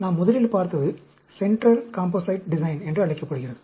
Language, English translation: Tamil, The first one we looked at is called the Central Composite Design